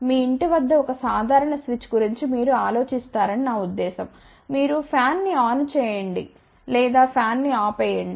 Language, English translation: Telugu, I mean you would just think about a simple switch at your home you want to let us say turn on fan or turn off the fan